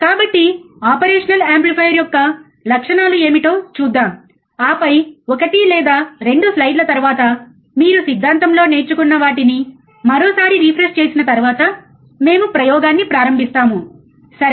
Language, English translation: Telugu, So, let us see what are the characteristics of the operational amplifier, and then when the when the after 1 or 2 slides, you will see that once you once you again refresh what you have been learning in theory then we will start the experiment, alright